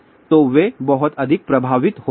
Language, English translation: Hindi, So, they get affected much more